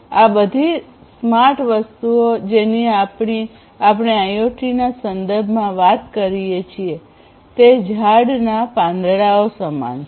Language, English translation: Gujarati, All these smart things that we talk about in the context of IoT; these smart applications, they are analogous to the leaves of a tree